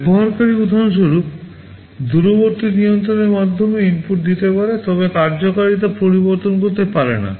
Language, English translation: Bengali, The user can give inputs for example, through the remote controls, but cannot change the functionality